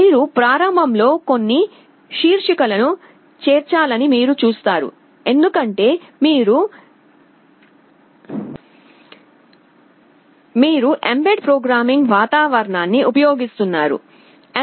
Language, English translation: Telugu, You see at the beginning you have to include some headers, because you are using the bed programming environment, mbed